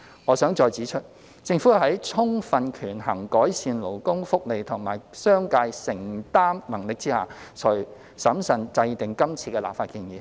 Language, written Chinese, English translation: Cantonese, 我想再指出，政府是在充分權衡改善勞工福利及商界承擔能力下，才審慎制定今次的立法建議。, I would like to point out once again that the Government has carefully formulated this legislative proposal after fully weighing the need to improve labour welfare and the affordability of the business sector